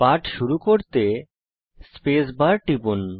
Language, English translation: Bengali, To start the lesson, let us press the space bar